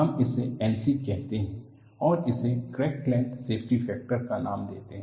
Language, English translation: Hindi, You call this as N c and you name it as crack length safety factor